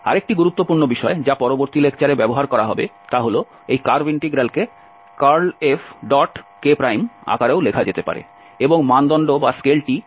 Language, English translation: Bengali, Another important point which will be used in next lectures that this curve integral can be also written as in form of the curl F and the dot product with the k and the scale was the perpendicular to our xy plane